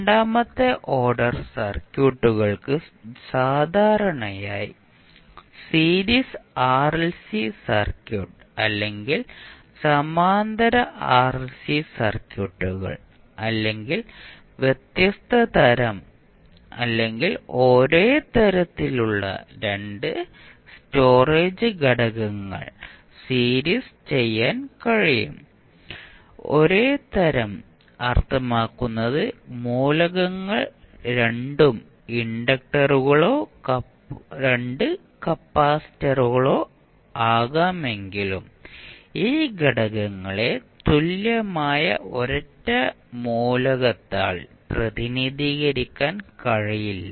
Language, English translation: Malayalam, So, second order circuits can typically series RLC circuit or parallel RLC circuits or maybe the 2 storage elements of the different type or same type; same type means that the elements can be either 2 inductors or 2 capacitors but these elements cannot be represented by an equivalent single element